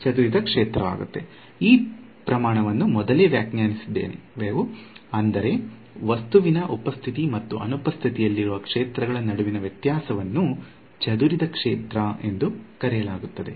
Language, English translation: Kannada, Scattered field we have defined this quantity earlier, then the difference between the fields in the presence and absence of an object is called the scattered field